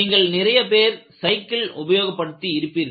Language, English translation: Tamil, Many of you will be using a cycle